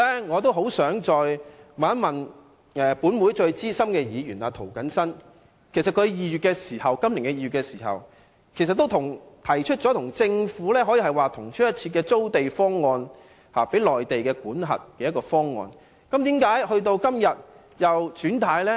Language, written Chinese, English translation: Cantonese, 我很想問問本會最資深的涂謹申議員，他今年2月提出了與政府方案如同出一轍的租地方案，由內地管轄，但為何今天又"轉軚"呢？, I would like to put to Mr James TO the most senior Member of this Council this question In February this year he put forth a proposal of land - leasing to be administered by the Mainland of which the idea was almost identical to the Governments current proposal . But why has he changed his mind now?